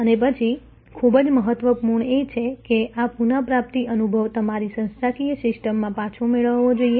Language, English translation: Gujarati, And then, very important that this recovery experience must be fed back to your organizational system